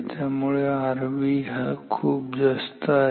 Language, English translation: Marathi, So, R V is much much higher than